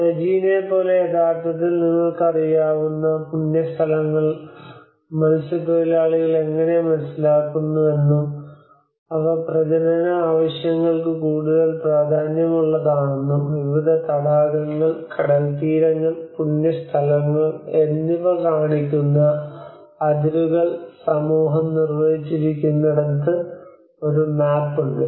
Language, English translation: Malayalam, Like Regina have actually a map given how the fishermen they understand the sacred places you know which are more important for the breeding purposes and where the community have defined the boundaries where they have defined the boundaries showing different lakes, beaches and the sacred places